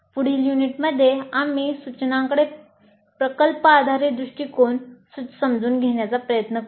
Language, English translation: Marathi, And in the next unit, we'll try to understand project based approach to instruction